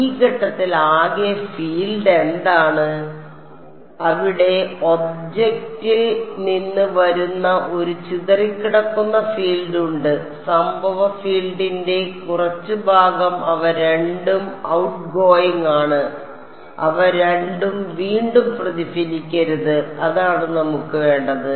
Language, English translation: Malayalam, At this point what is the total field there is a scattered field that is coming from the object and some part of the incident field both of them are outgoing and both of them should not be reflected back that is what we want ok